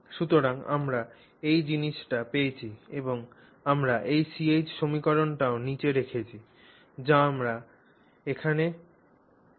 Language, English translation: Bengali, So, therefore we get this thing and we put this CH equation also down which we had here